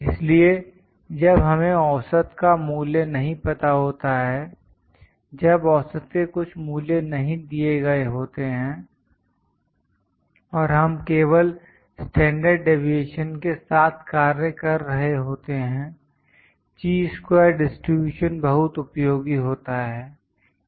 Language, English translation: Hindi, So, when we do not know the value of mean, when some value of mean is not given and we are just working with standard deviations, the Chi square distribution is more useful